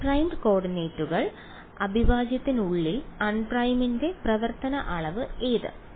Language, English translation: Malayalam, Un primed coordinates; inside the integral which is the quantity which is the function of un primed